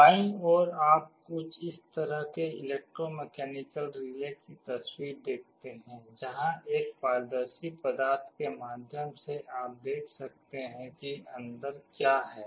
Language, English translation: Hindi, On the left you see some pictures of this kind of electromechanical relays, where through a transparent material you can see what is inside